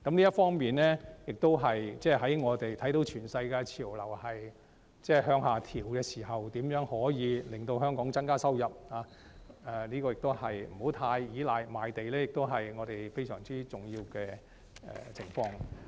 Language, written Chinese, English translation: Cantonese, 這方面，我們看到全世界的潮流是向下調整時，如何令香港增加收入，而不要過於依賴賣地，也是我們非常重要的課題。, In this connection while we see a global trend of downward adjustment how to increase Hong Kongs revenue and not rely too much on land sales is also a very important issue for our discussion